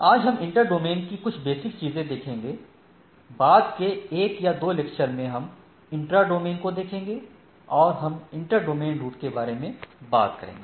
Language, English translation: Hindi, So, today we will be looking at some basics of inter domain, rather again, the in subsequent 1 or 2 lectures we will be looking at the intra domain and then we will talk about inter domain routing right